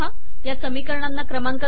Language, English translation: Marathi, These equations dont have numbers